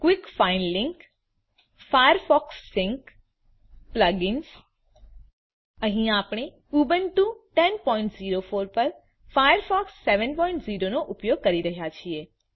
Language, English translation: Gujarati, *Quick find link *Firefox Sync *Plug ins Here we are using, firefox 7.0 on Ubuntu 10.04